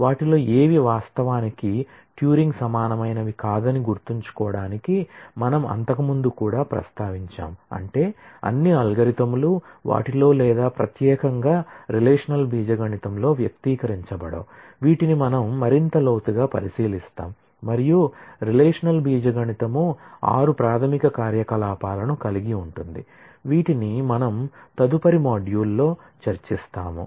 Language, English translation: Telugu, We mentioned that earlier also and also again to remember that none of them are actually Turing equivalent; that means, that not all algorithms can be expressed in them or specifically relational algebra, which we will look at in more depth and the relational algebra will consist of six basic operations, which we will discuss in the next module